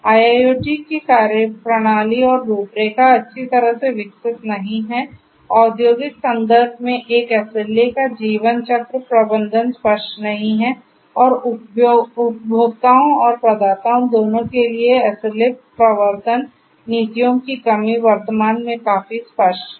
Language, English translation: Hindi, The methodologies and frameworks of IIoT are not well developed, lifecycle management of an SLA in the industrial context is not clear, and the lack of SLA enforcement policies for both the consumers and the providers is also quite evident at present